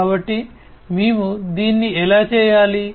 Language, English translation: Telugu, So, how do we do it